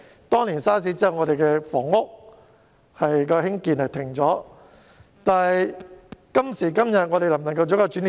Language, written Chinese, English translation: Cantonese, 當年 SARS 後我們停止興建房屋，今時今日能否成為一個轉捩點？, While we ceased the production of housing flats following SARS years ago can there be a turning point from this day?